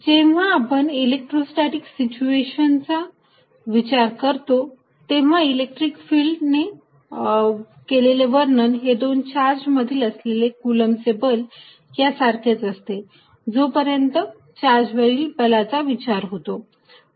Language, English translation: Marathi, Although, when dealing with electrostatic situation, description by electric field and the Coulomb's force were directly between two charges is the same as far as the forces on charges are concerned